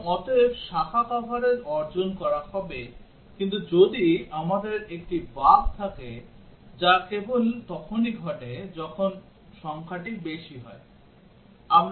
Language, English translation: Bengali, And therefore, branch coverage would be achieved, but what if we have a bug which occurs only when the digit high is true